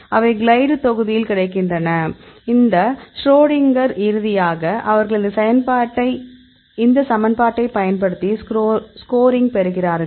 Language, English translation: Tamil, They are available in the glide module; in this Schrodinger then finally, they get the score using this equation